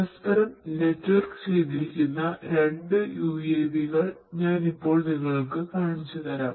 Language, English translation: Malayalam, Let me now show you two UAVs, which are networked with each other flying